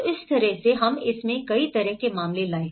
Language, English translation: Hindi, So in that way, we brought a variety of cases in it